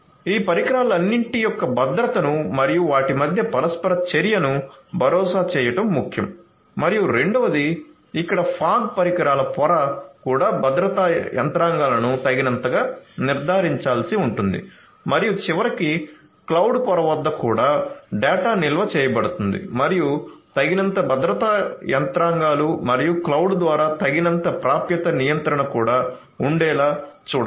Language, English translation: Telugu, So, ensuring the security of all of these devices and their interaction between them is important and second is the fog devices layer here also the security mechanisms adequately will have to be ensured and finally, at the cloud layer also the data are being stored and adequate security mechanisms and adequate access control through the cloud will also have to be ensured